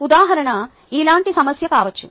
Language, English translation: Telugu, example could be a problem